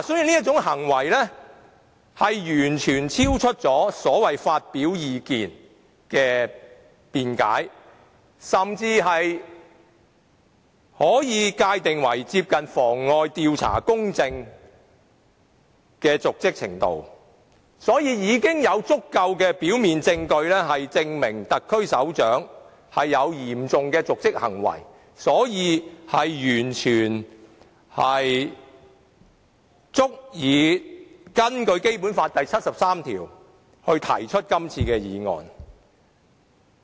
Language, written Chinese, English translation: Cantonese, 這種行為完全超出了所謂發表意見的辯解，甚至可以界定為接近妨礙調查公正的瀆職行為，因此，現時已有足夠的表面證據證明特區首長有嚴重的瀆職行為，完全足以根據《基本法》第七十三條提出這項議案。, Such an act has completely gone beyond the argument of expressing views and it can even be described as dereliction of duty that will likely undermine the impartiality of the inquiry . Hence there is sufficient prima facie evidence to support the serious dereliction of duty on the part of the head of the SAR and it is therefore fully justified to move this motion under Article 73 of the Basic Law